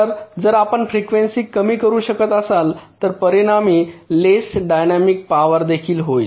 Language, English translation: Marathi, so if you can reduce the frequency, that will also result in less dynamics power